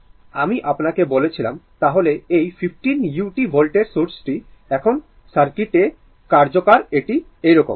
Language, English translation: Bengali, That I told you, then this 15 u t volt source is now operative in the circuit it is like this